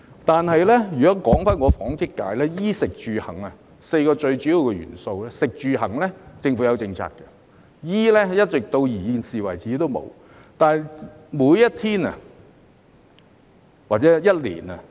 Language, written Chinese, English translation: Cantonese, 但是，如果說起我代表的紡織界，在"衣、食、住、行 "4 個最主要的元素之中，政府對"食、住、行"已有政策，但對於"衣"，至今仍然沒有。, However speaking of the textiles and garment sector that I represent the Government has already formulated policies on three of the four most important aspects namely food housing and transportation but nothing on clothing so far